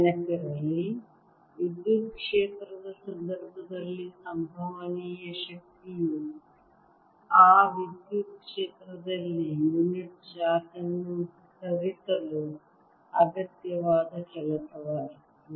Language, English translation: Kannada, recall that the potential energy in the case of electric field was the work required to more a unit charge in that electric field